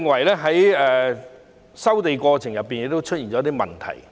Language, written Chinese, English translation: Cantonese, 第二，我認為收地過程亦出現問題。, Second I think that there is something wrong with the land resumption process